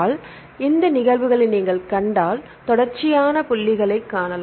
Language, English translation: Tamil, So, if you see these are the cases you can see the continuous dots